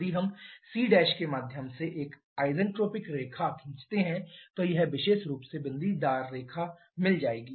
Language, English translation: Hindi, If we draw an isentropic line through the c prime then would have got this particular dotted line